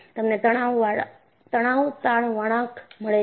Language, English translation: Gujarati, You get this stress strain curve